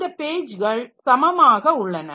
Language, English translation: Tamil, So, pages are of equal size